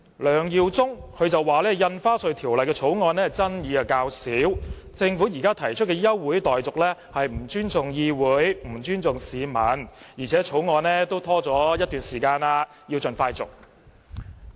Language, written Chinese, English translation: Cantonese, 梁耀忠議員說，《條例草案》爭議較少，政府現時提出休會待續議案是不尊重議會和市民，而且《條例草案》已拖延了一段時間，應盡快通過。, Mr LEUNG Yiu - chung said that the Bill was less controversial and the Government disrespected the Council and the public in moving an adjournment motion . As the scrutiny of the Bill has been delayed for some time the Bill should be passed as soon as possible